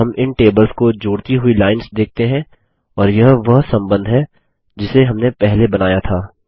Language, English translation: Hindi, Now we see lines linking these tables and these are the relationships that we had established earlier